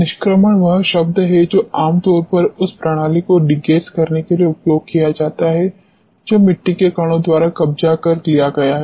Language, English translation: Hindi, Evacuation is the word which is normally used to degas the system what take out whatever has been captured by the soil particles